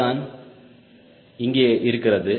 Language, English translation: Tamil, this is what is here, right